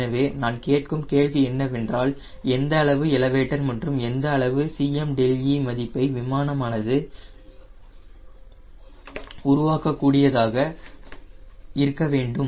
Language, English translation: Tamil, so i am asking a question: how much elevator and how much c m delta e value the aircraft should be able to generate